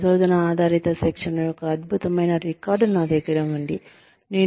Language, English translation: Telugu, I have an excellent record of research based training